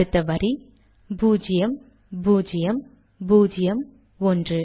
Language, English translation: Tamil, Next line: zero, zero, zero, one